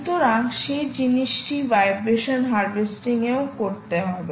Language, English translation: Bengali, so that is the thing that you will have to do, even for vibration harvesting